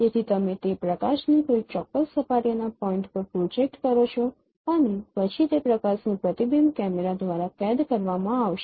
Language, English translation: Gujarati, So, you project that light on a particular surface point and then the reflection of that light will be captured by a camera